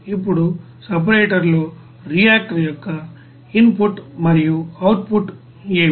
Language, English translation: Telugu, Now in the separator what will be the input and output of the reactor